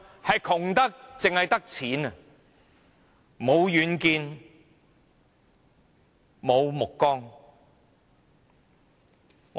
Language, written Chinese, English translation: Cantonese, 是窮得只剩下錢，無遠見，無目光。, It is so poor without vision or goal that only money is left